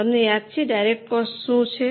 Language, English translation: Gujarati, Do you remember what is direct cost